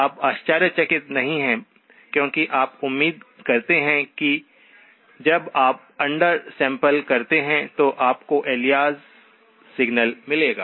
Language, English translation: Hindi, You are not surprised because you expect that when you under sample, you will get an alias signal